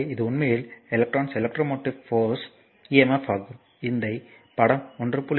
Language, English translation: Tamil, So, this is actually external electromotive force emf, typically represent by the battery figure 1